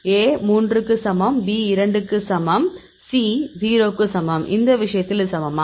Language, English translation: Tamil, So, A equal to 3, B equal to 2, C equal to 0; so in this case this is equal to